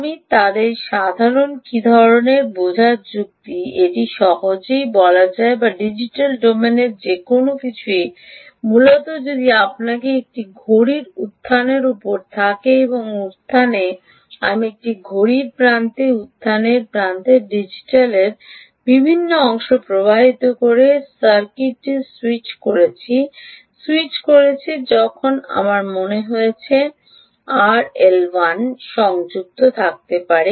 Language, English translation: Bengali, its easy to say that anything in the digital domain which are, essentially, if you have on a clock rise, on the rise of i clock edge, the rise of a clock edge, ah, several parts of a digital circuit are switching on, switching on, then i think you could connect r l one